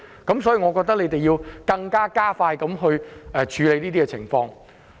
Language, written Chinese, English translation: Cantonese, 所以，我認為政府要加快處理這事情。, I thus think that the Government needs to speed up its work